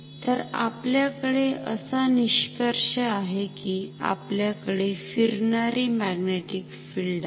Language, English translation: Marathi, So, we have so the conclusion is that we have a rotating magnetic field ok